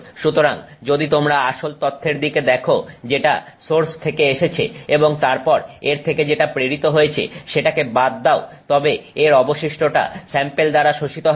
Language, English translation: Bengali, So, if you look at the original data that came from the source and you remove what got transmitted from it, the rest of it got absorbed by the sample